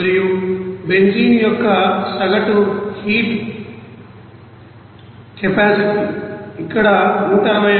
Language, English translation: Telugu, And average heat capacity of the benzene is given here 161